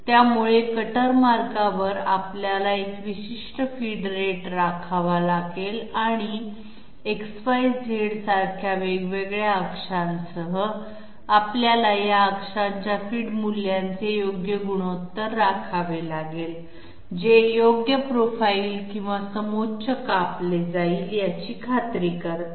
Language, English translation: Marathi, So along the cutter path we have to maintain a particular feed rate and along the different axes like X, Y, Z, we have to maintain the correct ratios of these axes feed values that that ensures that the correct profile or contour will be cut